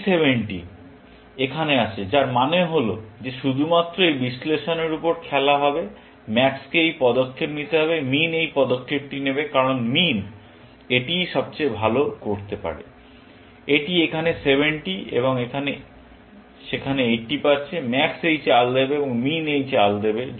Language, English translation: Bengali, This 70 is coming here; which means that the game that will be played, if only on this analysis; would be that max would make this move; min would make this move, because that is what min can do best; it is getting 70 here, and 80 there; max would make this move, and min would make this move